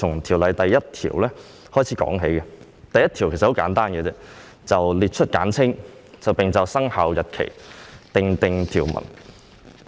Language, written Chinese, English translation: Cantonese, 先由第1條說起，此條文很簡單，只是列出條例的簡稱及就生效日期訂定條文。, Let me start with clause 1 which is a very simple provision dealing with the short title and commencement of the amended ordinance